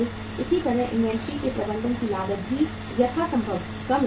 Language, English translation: Hindi, Similarly, cost of managing inventory also remains as low as possible